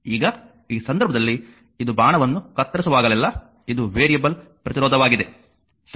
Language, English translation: Kannada, Now in this case this is a variable resistance whenever cutting an arrow through it, right